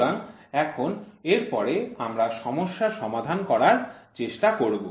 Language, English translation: Bengali, So, now, next we will try to solve the problem